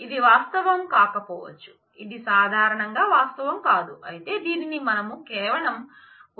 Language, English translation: Telugu, This may not be a reality this usually is not the reality, but this we are just showing this as an example